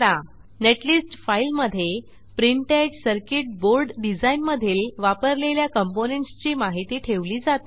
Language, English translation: Marathi, Netlist file contains information about components in the circuit required for printed circuit board design